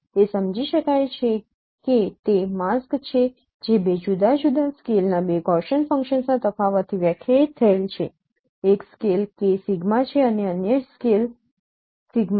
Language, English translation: Gujarati, It is understood that it is a mask which is defined from the difference of two Gaussian functions of two different scales